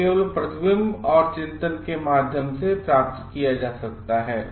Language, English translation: Hindi, This can only be achieved through reflection and contemplation